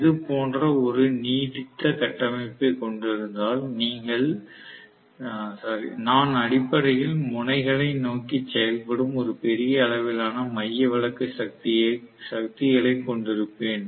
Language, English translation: Tamil, If it is having a protruding structure like this, I will have basically huge amount of centrifugal forces acting towards the ends